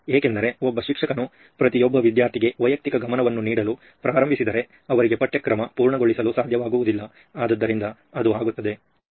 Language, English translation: Kannada, Because if a teacher would start giving individual attention to each and every student he or she would not be able to complete, so it would be